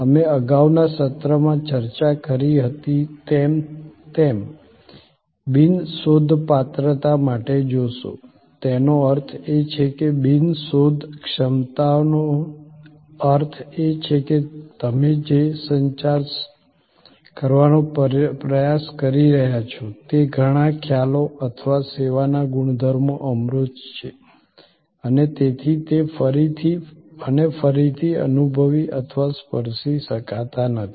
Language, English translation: Gujarati, You will see for the non searchability as we discussed in the previous session; that means non searchability means that, many of the concepts that you are trying to communicate or properties of the service are abstract and therefore, they cannot be again and again felt or touched